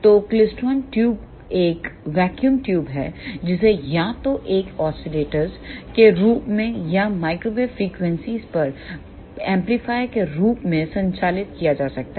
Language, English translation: Hindi, So, klystron tube is a vacuum tube that can be operated either as an oscillator or as an amplifier at microwave frequencies